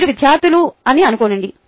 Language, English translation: Telugu, ok, assume that you are students